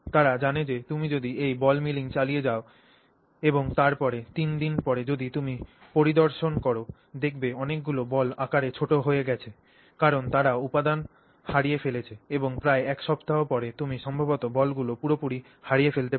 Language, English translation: Bengali, So, what they actually do is they know that you know by the time if you continue ball milling using this ball mill and then after three days if you inspect many of the balls might have shrunken in size because they have also lost material and then after about one week you may actually lose the balls completely